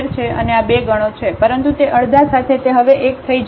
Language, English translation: Gujarati, So, x minus 1 is square and this is 2 times, but with that half it will become 1 now